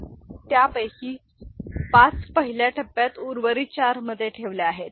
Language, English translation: Marathi, So, that is placed 5 of them are placed in rest four in the first stage